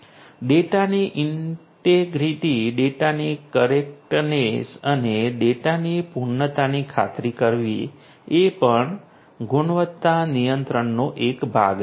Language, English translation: Gujarati, Ensuring integrity of the data, correctness of the data, completeness of the data that is also part of quality control